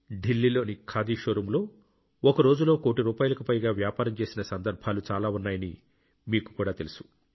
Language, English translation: Telugu, You too know that there were many such occasions when business of more than a crore rupees has been transacted in the khadi showroom in Delhi